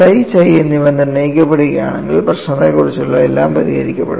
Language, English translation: Malayalam, You have to find out psi and chi for a given point; if psi and chi are determined, everything about the problem is solved